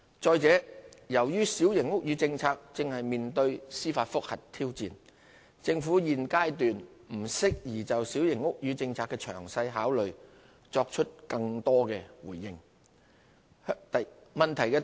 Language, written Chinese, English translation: Cantonese, 再者，由於小型屋宇政策正面對司法覆核挑戰，政府現階段不適宜就小型屋宇政策的詳細考慮作出更多回應。, Moreover as the Policy is currently challenged by a judicial review it is not appropriate for the Government to respond further to detailed considerations of the Policy at this stage